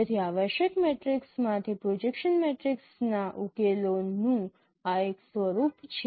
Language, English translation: Gujarati, So this is one form of solution of no projection matrices from essential matrix